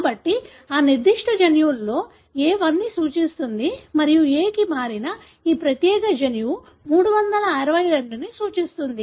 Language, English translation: Telugu, So, in that particular gene, A represent 1 and this particular gene which got converted to A represent 362